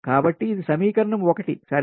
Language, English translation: Telugu, so this is equation two